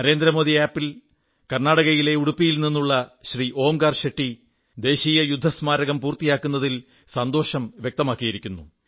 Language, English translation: Malayalam, On the Narendra Modi App, Shri Onkar Shetty ji of Udupi, Karnataka has expressed his happiness on the completion of the National War Memorial